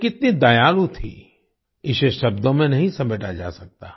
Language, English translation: Hindi, The magnitude of her kindness cannot be summed up in words